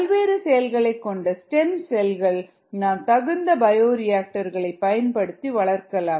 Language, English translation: Tamil, you could also grow stem cells, which are used for a variety of a purposes using bioreactors